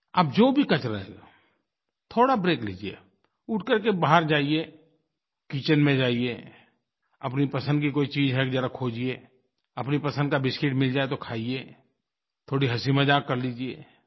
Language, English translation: Hindi, Whatever you are doing, take a break, have a stroll outside, enter the kitchen, look for something that you relish to eat, munch on your favourite biscuit if possible, tell or listen jokes and laugh for a while